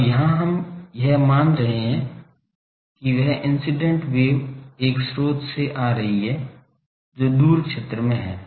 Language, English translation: Hindi, Now, here we are assuming that this incident wave is coming from a source which is at the far field